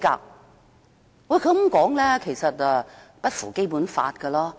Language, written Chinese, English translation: Cantonese, 然而，他這樣說並不符合《基本法》。, His remark did not comply with the Basic Law